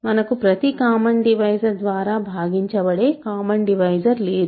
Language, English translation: Telugu, We do not have a common divisor which is divisible by every other divisor, ok